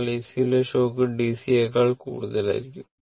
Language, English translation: Malayalam, So, shock in AC will be more than the DC right